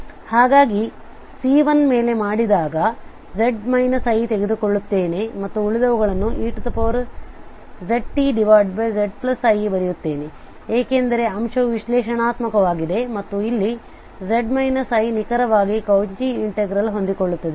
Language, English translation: Kannada, So over C1 what I will do, when I do over C1 I will take a z minus i and the rest I will write down e power z t divided by z plus i, because now this numerator is analytic and here z minus i is exactly fitting into the formula of the Cauchy integral